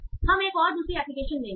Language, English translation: Hindi, So we will take one other application